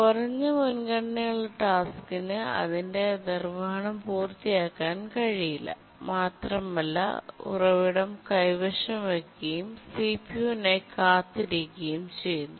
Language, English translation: Malayalam, The low priority task cannot complete its execution, it just keeps on holding the resource and waits for the CPU